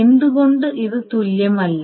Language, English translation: Malayalam, Why it is not equivalent